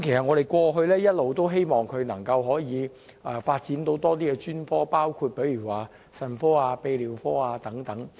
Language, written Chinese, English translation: Cantonese, 我們過去一直希望北大嶼山醫院能開設多些專科，包括腎科、泌尿科等。, It has been our wish that North Lantau Hospital can provide more specialist services including nephrology and urology services